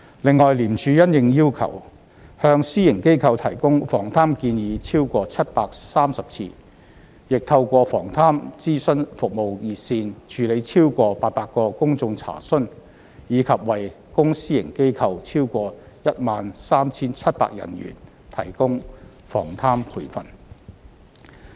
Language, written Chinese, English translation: Cantonese, 另外，廉署因應要求，向私營機構提供防貪建議超過730次；亦透過防貪諮詢服務熱線，處理超過800個公眾查詢；以及為公私營機構超過 13,700 人員提供防貪培訓。, Moreover ICAC offered advisory service to private sector entities on 730 - odd occasions upon request and handled over 800 public enquiries through the Corruption Prevention Advisory Service hotline . ICAC also conducted corruption prevention training for over 13 700 persons in both public and private sectors